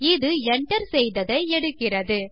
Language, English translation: Tamil, It takes what has been entered